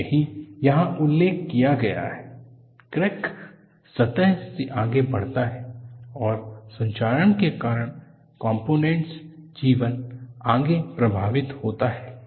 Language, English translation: Hindi, So, that is what is mentioned here, the crack proceeds from the surface and the component life is further affected due to corrosion